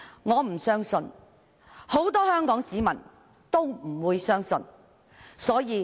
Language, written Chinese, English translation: Cantonese, 我和很多香港市民也無法相信。, Many Hong Kong people and I would also find it unbelievable